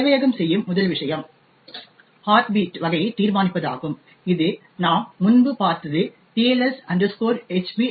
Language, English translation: Tamil, First thing that server would do is determine the heartbeat type which as we have seen before is the TLS HB REQUEST